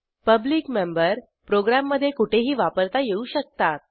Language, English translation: Marathi, A public member can be used anywhere in the program